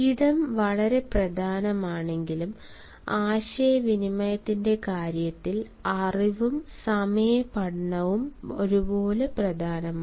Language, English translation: Malayalam, while space is very important, even the knowledge or the study of time is equally important in terms of communication